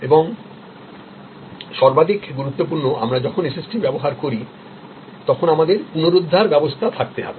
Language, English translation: Bengali, And most importantly we have to have recovery system when we use a SST